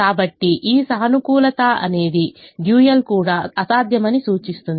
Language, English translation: Telugu, so this positive indicates that the dual is also infeasible